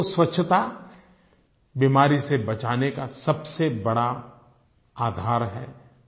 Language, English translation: Hindi, Cleanliness is one of the strongest protections from disease